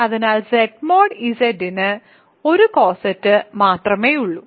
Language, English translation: Malayalam, So, Z mod Z has only 1 coset